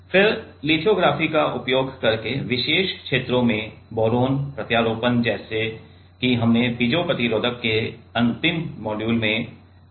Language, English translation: Hindi, Then boron implant in particular regions using lithography as we have discussed in last module of the piezo resistors